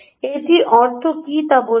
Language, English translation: Bengali, see what does it mean